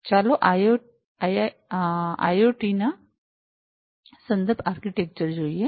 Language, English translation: Gujarati, So, let us look at the IIoT reference architecture